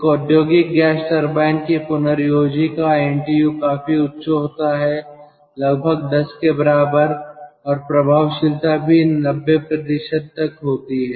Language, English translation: Hindi, regenerator of an industrial gas turbine, ntu quite high ten and effectiveness is also high, that is ninety percent